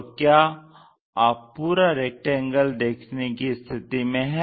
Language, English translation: Hindi, Are you in a position to see the complete rectangle